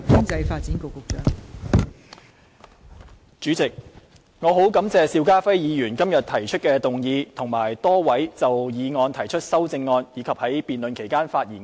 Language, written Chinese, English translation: Cantonese, 代理主席，我很感謝邵家輝議員今天提出議案，亦很感謝多位議員就議案提出修正案或在辯論期間發言。, Deputy President I am very grateful to Mr SHIU Ka - fai for proposing the motion today and a number of Honourable Members for proposing the amendments to the motion or speaking in the debate